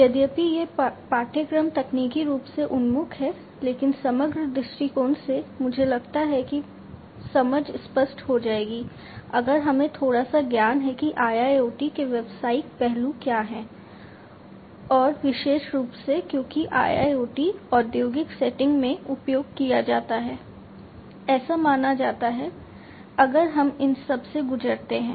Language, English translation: Hindi, Although this course is technically oriented, but from a holistic perspective, I think the understanding will be clearer, if we go through, if we have little bit of knowledge about what are the business aspects of IIoT, and particularly because IIoT is supposed to be used in the industrial settings